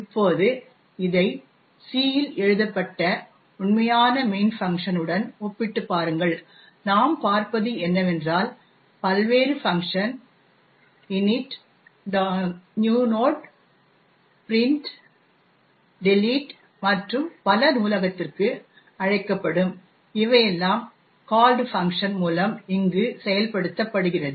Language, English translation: Tamil, Now, compare this with the actual main function written in C and what we see is that the various function calls to the library like init, new node, print, delete and so on are all invoked over here through the called function